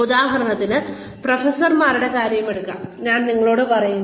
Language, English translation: Malayalam, For example, let us take the case of professors, we are told